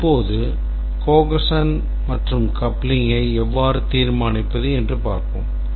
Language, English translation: Tamil, Now let's look at how do we determine the cohesion and coupling